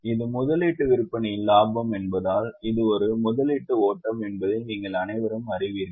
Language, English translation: Tamil, You all know that since this is a profit on sale of investment it is a investing flow